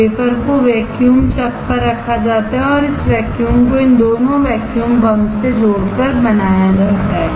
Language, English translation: Hindi, The wafer is held on the vacuum chuck and this vacuum is created by connecting these two to a vacuum pump